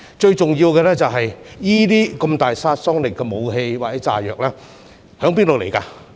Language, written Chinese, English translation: Cantonese, 最重要的是，具有如此大殺傷力的武器或炸藥從何而來？, Most importantly where did those powerful weapons or explosives come from?